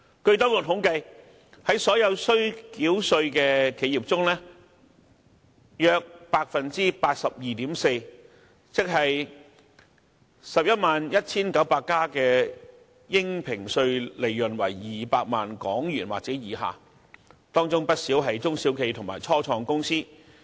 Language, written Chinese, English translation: Cantonese, 據當局統計，在所有須繳稅的企業中，約有 82.4% 的應評稅利潤為200萬元或以下，這些企業中不少是中小企和初創公司。, Government statistics show that about 82.4 % of all tax - paying enterprises 111 900 in number have assessable profits below 2 million and many of those enterprises are medium or small enterprises or start - ups